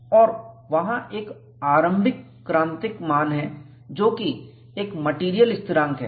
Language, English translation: Hindi, And there is a threshold value, which is found to be a material constant